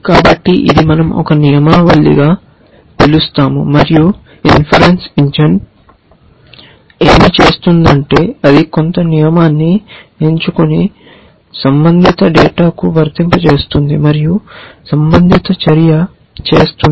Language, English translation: Telugu, So, this is a what we would call is as a rule base and what the inference engine does is that it will pick some rule and apply it to the relevant data and do the relevant action